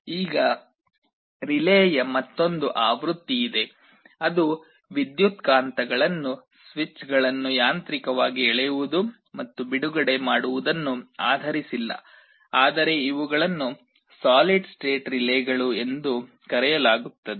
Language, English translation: Kannada, Now there is another version of a relay that is not based on electromagnets pulling and releasing the switches mechanically, but these are called solid state relays